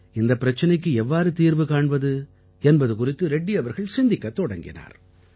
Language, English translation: Tamil, Reddy ji is a farmer, he thought about what he could do about solving this problem